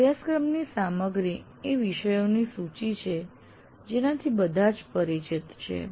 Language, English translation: Gujarati, And now content of the course, this is the list of topics which everybody is familiar with